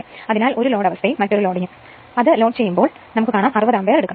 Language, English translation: Malayalam, So, no load condition as well as you say another loading your, what you call another when it is loaded it is taking 60 ampere